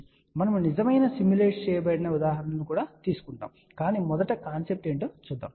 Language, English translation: Telugu, We will take real simulated examples also, but let us first look at the concept part